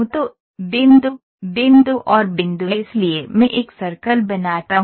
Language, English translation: Hindi, So, point, point and point so I make a circle ok